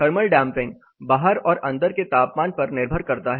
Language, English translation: Hindi, Thermal damping depends on outdoor as well as indoor temperatures